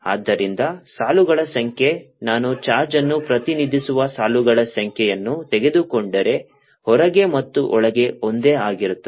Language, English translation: Kannada, so the number of lines, if i take number of lines representing the charge, remains the same outside and inside